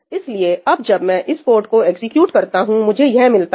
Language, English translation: Hindi, So, now, when I execute this code, this is what I get